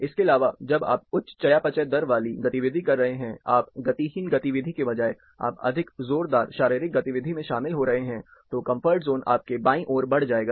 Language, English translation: Hindi, Apart from this, when you are doing higher metabolic rate activity, you are, instead of sedentary activity, you are getting into more strenuous physical activity, and then your comfort zone will move towards your left